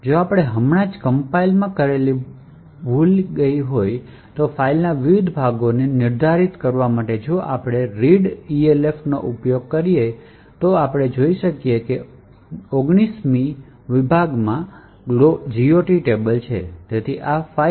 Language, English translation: Gujarati, If we use readelf to determine the various sections of the eroded file that we have just compiled, we see that the 19th section has the GOT table